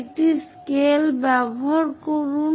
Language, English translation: Bengali, Use a scale